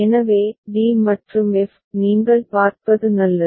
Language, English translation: Tamil, So, d and f is it fine that you can see